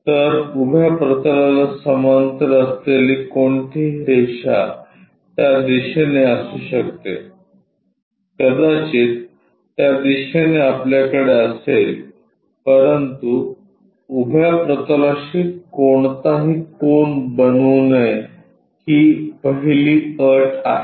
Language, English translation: Marathi, So, any line parallel to vertical plane may be in that direction, maybe in that direction we will have, but it should not make any inclination angle with vertical plane, this is the first condition